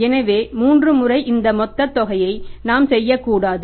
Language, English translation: Tamil, So, this three time of this we have to do not this entire of this total amount, we have not do the three times